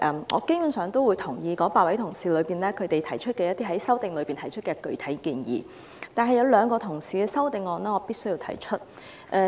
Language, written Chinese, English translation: Cantonese, 我基本上贊同8位同事在修正案中提出的具體建議，但我必須談談兩位同事的修正案。, I basically support the specific proposals put forward by the eight colleagues in their amendments but I have to say a few words about the amendments proposed by two colleagues